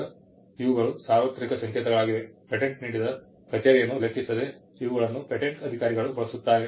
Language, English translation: Kannada, Now, these are universal codes which are used by patent officers regardless of the office in which the patent is granted